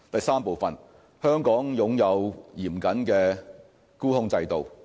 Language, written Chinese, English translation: Cantonese, 三香港擁有嚴謹的沽空制度。, 3 Hong Kong has a stringent short - selling regime